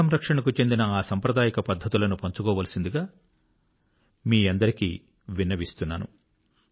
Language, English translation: Telugu, I urge all of you to share these traditional methods of water conservation